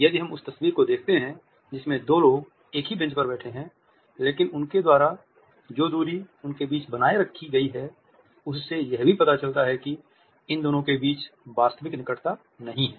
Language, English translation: Hindi, If we look at the photograph in which two people are sitting on the same bench, but the distance which exists between them and the distance which has been studiously maintained by them also suggest that there is no actual closeness between these two